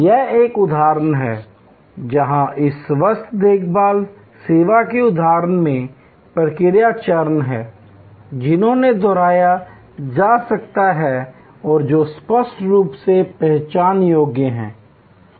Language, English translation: Hindi, This is an example, where in this health care service example, there are process steps which can be replicated and which are clearly identifiable